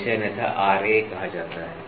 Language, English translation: Hindi, So, this is otherwise called as Ra